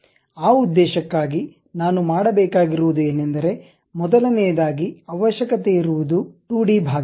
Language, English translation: Kannada, For that purpose what I have to do is the first always the first part is a 2D one